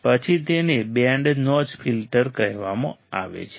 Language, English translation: Gujarati, Then it is called band notch filter